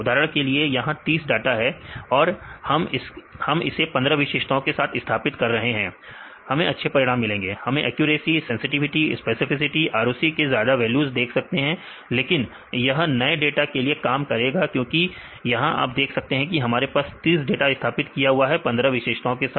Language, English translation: Hindi, For example, here 30 data and we fit with the 15 features; we will get good results, we will see the accuracy, sensitivity, specificity, ROC and get very high values, but this will work for the new data because we do not work because here you have see that you get 30 data your are fitted with 15 features